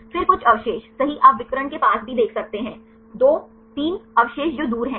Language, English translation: Hindi, Then some residues right you can see even near the diagonal, 2 3 residues which are far away